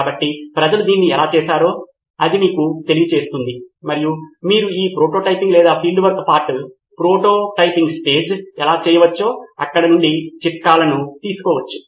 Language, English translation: Telugu, So that will tell you how people have done it and you can probably take tips from there as to how you can do this prototyping or the field work part of it, prototyping stage